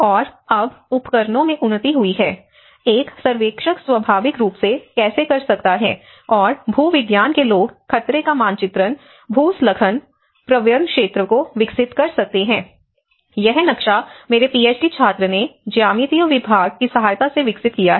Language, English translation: Hindi, And now there has been advancement in the tools, how a surveyor can naturally do and the geomatics people can develop the hazard mapping, the landside prone area, this is a map developed from my Ph